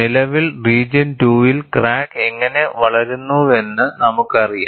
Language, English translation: Malayalam, Currently, we know how the crack grows in the region 2